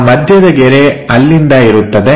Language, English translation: Kannada, So, middle line from there